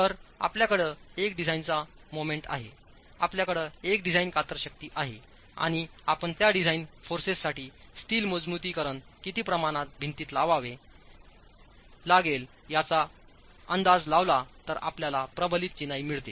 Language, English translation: Marathi, So, you have a design moment, you have a design shear force and if you estimate the amount of steel reinforcement that has to be placed in a wall for those design forces, then you get reinforced masonry